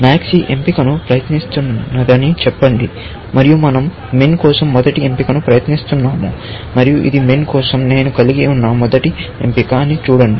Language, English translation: Telugu, Let us say max try this option, and we try the first option for min, and see this is the first option, which I have for min